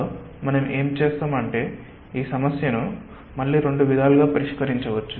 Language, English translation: Telugu, so what we will do, ah, we may ah solve this problem in again two ways